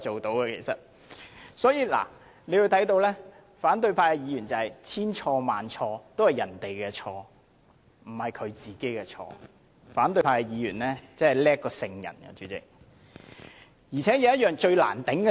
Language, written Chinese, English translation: Cantonese, 大家可以看到，反對派議員認為千錯萬錯全是別人的錯，不是他們的錯，他們比聖人還要了不起。, We can thus see in the eyes of opposition Members everyone but they should take the blame and they are more holy than saints